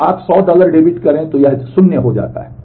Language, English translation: Hindi, So, you debit 100 dollar it becomes 0